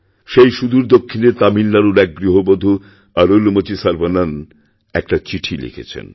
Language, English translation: Bengali, From the far south, in Madurai, Tamil Nadu, Arulmozhi Sarvanan, a housewife, sent me a letter